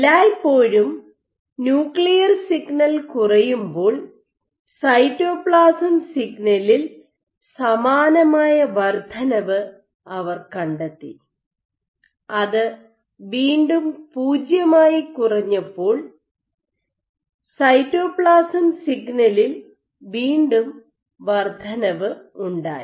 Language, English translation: Malayalam, And every time the nuclear signal ended up dipping, they found a corresponding increase in the cytoplasm signal which again fell back to 0, again an increase in the cytoplasm signal